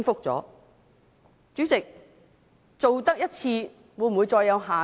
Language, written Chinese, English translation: Cantonese, 主席，做了一次，會否再有下次？, President after this incident will there be another incident?